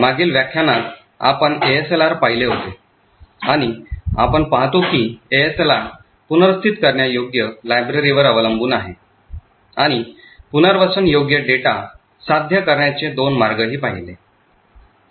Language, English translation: Marathi, In the previous lecture we had actually looked at ASLR and we see how ASLR is actually dependent on relocatable libraries and we also looked at two ways to achieve relocatable data